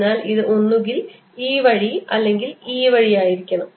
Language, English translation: Malayalam, so it has to be either this way or this way